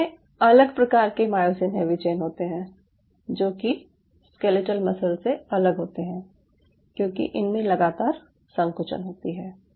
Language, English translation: Hindi, cardiac has a very different kind of myosin heavy chain, unlike, unlike the skeletal muscle, because these cells continuously contract